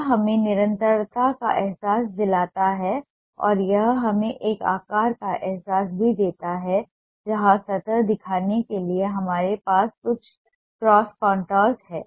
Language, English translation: Hindi, it gives us a sense of continuity and it also gives us a sense of a shape where we have some cross contours to show the surface